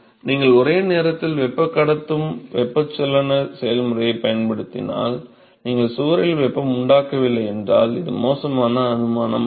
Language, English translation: Tamil, When you have simultaneous conduction convection process used, if you do not have any heat generation in the wall which is not the bad assumption to make